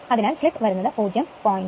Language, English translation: Malayalam, so it is coming 0